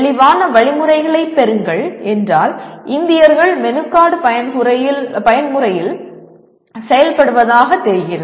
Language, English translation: Tamil, Receive clear instructions means somehow Indians seem to be operating in a menu card mode